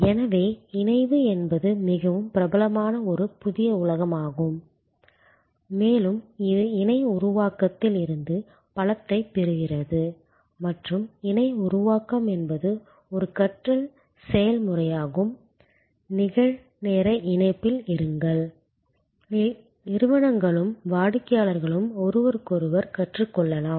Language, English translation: Tamil, So, fusion is a new very popular world and it derives lot of strength from co creation and co creation is also a learning process, be in real time connection, organizations and customers can learn from each other